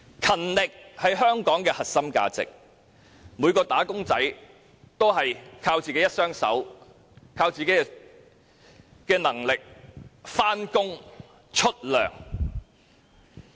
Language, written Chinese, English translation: Cantonese, 勤力是香港的核心價值，每一名"打工仔"靠自己能力上班支薪。, Diligence is a core value of Hong Kong and every wage earner relies on his capabilities to work and get paid